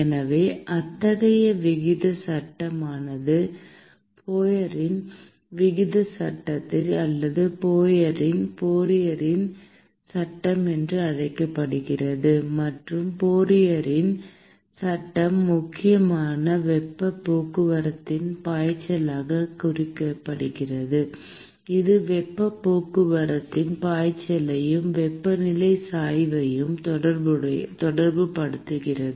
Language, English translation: Tamil, So, such a rate law is what is called as the Fourier’s rate law or Fourier’s law and the Fourier’s law essentially relates the flux of heat transport it relates the flux of heat transport and the temperature gradient